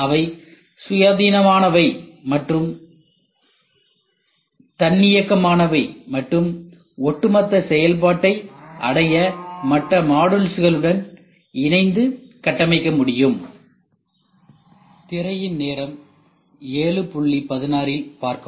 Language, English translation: Tamil, They are independent and self contained and can be combined and configured with other modules to achieve the overall function